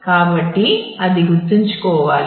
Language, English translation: Telugu, So, that will have to keep in mind